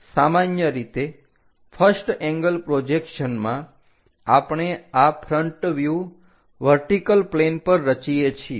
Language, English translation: Gujarati, Usually in first angle projection we construct this front view on the vertical plane